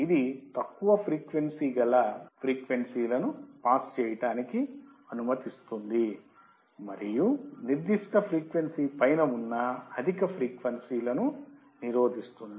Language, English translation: Telugu, It will allow to pass the low frequencies and block the high frequencies above a particular frequency